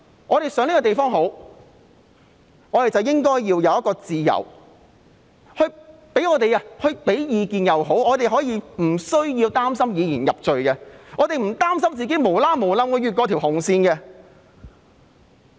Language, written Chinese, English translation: Cantonese, 我們想這個地方好，便應該有提供意見的自由，而無須擔心會被以言入罪，也不用擔心自己會不小心越過了紅線。, We should have the freedom to express our opinions for the betterment of this place without having to worry about being convicted for expression of opinions or crossing the red line inadvertently